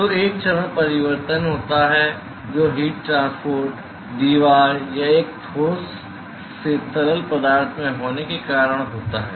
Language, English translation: Hindi, So, there is a phase change that is occurring, because of heat transport from the wall or a solid to the fluid